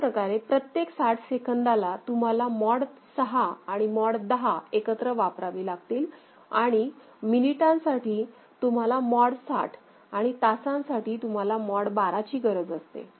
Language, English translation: Marathi, So, every 60 seconds so it is a you can have a mod 6 and mod 10 together right and another could be your what is it called for minutes also a mod 60 and for hours you need a mod 12 ok